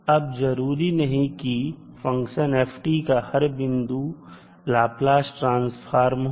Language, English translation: Hindi, Now, the function ft may not have a Laplace transform at all points